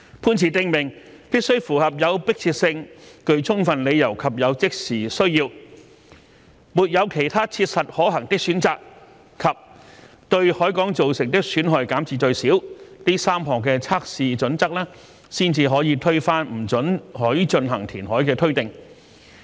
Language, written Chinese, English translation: Cantonese, 判詞訂明，必須符合"有迫切性、具充分理由及有即時需要"、"沒有其他切實可行的選擇"及"對海港造成的損害減至最少"這3項測試準則，才可推翻不准許進行填海的推定。, The judgment states that the three tests of compelling overriding and present need no viable alternative and minimum impairment to the Harbour have to be met before the presumption against reclamation can be rebutted